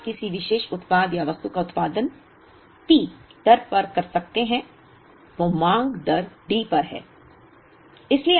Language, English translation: Hindi, If you take a particular product or an item it produces at the rate P, the demand is at the rate D